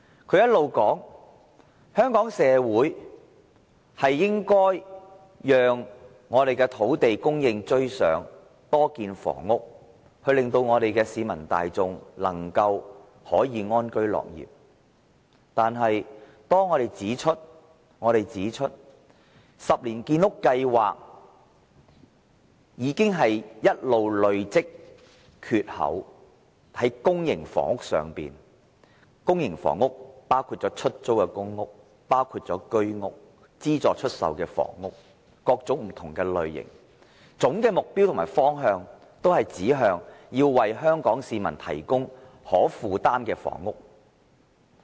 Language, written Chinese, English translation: Cantonese, 他一直說香港社會應讓土地供應趕上需求，要多建房屋，讓市民大眾安居樂業，但當我們指出10年建屋計劃已累積缺口，在公營房屋包括出租公屋、居屋、資助出售的房屋等各種不同類型，總的目標和方向均指向要為香港市民提供可負擔的房屋。, He always says that Hong Kong society should ensure land supply to meet the demand and construct additional flats to enable the public to live in peace and work with contentment . We have pointed out that there is an accumulated shortfall under the Ten - year Housing Programme in various types of public housing including public rental housing Home Ownership Scheme flats and subsidized sale flats so the overall objective and direction should be focused on providing affordable housing for the public